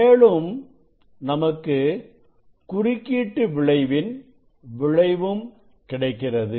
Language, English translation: Tamil, that is there additionally interference effect is there